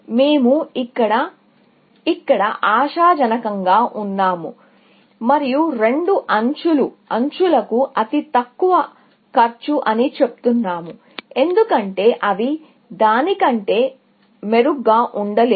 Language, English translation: Telugu, We are sort of being optimistic here, and saying that the two edges are the lowest cost to edges, because they cannot be better than that